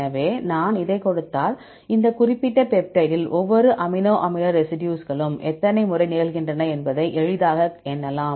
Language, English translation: Tamil, So, if I give this one, you can easily count the number of times each amino acid residue occur in this particular peptide